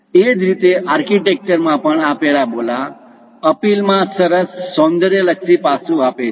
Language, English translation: Gujarati, Similarly, in architecture also this parabolas gives aesthetic aspects in nice appeal